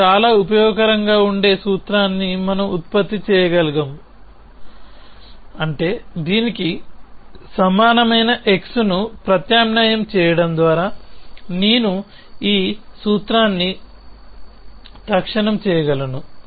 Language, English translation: Telugu, We can produce the formula which is very useful for us which is that I can instantiate this formula by substituting x equal to this